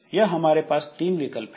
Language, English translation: Hindi, So, these are the three alternatives